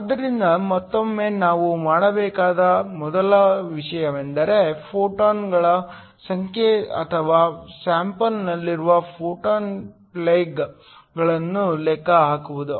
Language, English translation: Kannada, So, Once again the first thing we need to do is to calculate the number of photons or the photon plugs that is incident on the sample